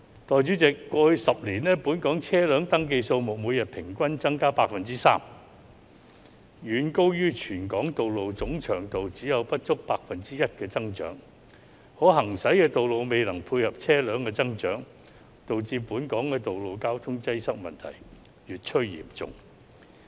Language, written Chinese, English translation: Cantonese, 代理主席，過去10年，本港車輛登記數目每天平均增加 3%， 遠高於全港道路總長度只有不足 1% 的增長，可行駛的道路未能配合車輛的增長，導致本港的道路交通擠塞問題越趨嚴重。, Deputy President in the past 10 years the number of registered vehicles has increased by an average of 3 % per year which was way higher than the 1 % increase of the total length of roads in Hong Kong . The increase of drivable roads has not been able to keep up with the growth of the number of vehicles leading to the worsening traffic congestion in Hong Kong